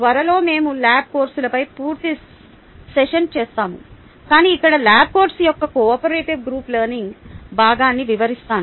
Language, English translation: Telugu, ok, soon we will do an entire session on lab courses, but let me describe the cooperative group learning part of the lab course